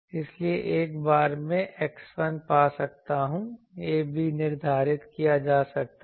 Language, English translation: Hindi, So, see that once I can find x 1, a b can be determined